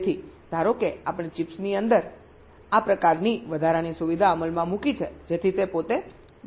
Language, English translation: Gujarati, ok, so suppose we have implemented this kind of extra facility inside the chips so that it can test itself, bist